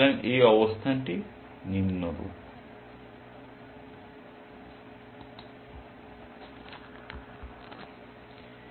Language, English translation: Bengali, So, the position is as follows